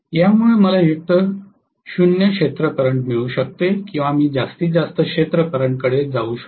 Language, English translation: Marathi, This enables me get either 0 field current or I can go to maximum field current that is what going to happen